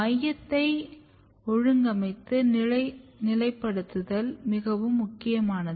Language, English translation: Tamil, So, positioning of organizing center is very important